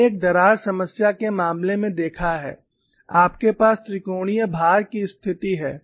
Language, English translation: Hindi, We have seen in the case of a crack problem you have a triaxial loading situation